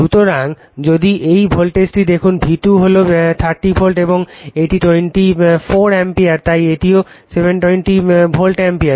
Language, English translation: Bengali, So, if you see this voltage is your V2 is 30 volt and this is 24 ampere so, that is also 720 volt ampere right